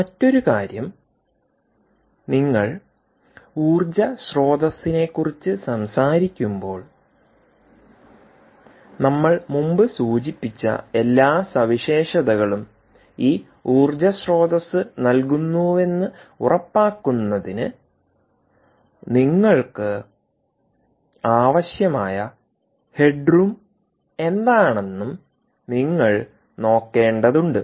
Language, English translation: Malayalam, another thing: when you talk about the power supply, ah, you will also have to be looking at what is the head room that you need in order to ensure that this power supply gives you all the features that we mentioned previously, like stability